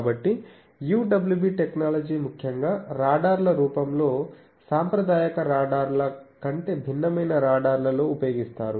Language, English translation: Telugu, So, UWB technology particularly in the form of radars which are a different kind of radars than the conventional radars